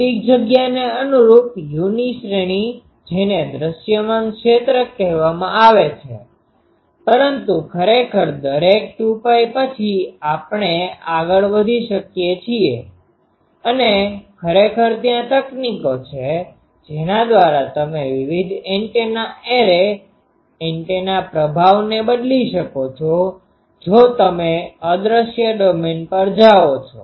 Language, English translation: Gujarati, The range of u corresponding to physical space that is called visible region, but actually after every 2 pi we can go on and actually there is techniques by which you can change various antennas array, antennas performance if you go in to the invisible domain